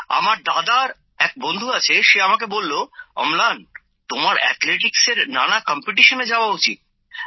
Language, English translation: Bengali, But as my brother's friend told me that Amlan you should go for athletics competitions